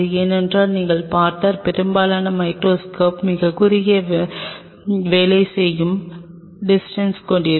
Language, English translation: Tamil, Because most of the microscope if you see will have a very short working distance what does that mean